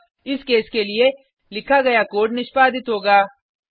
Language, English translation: Hindi, So the code written against this case will be executed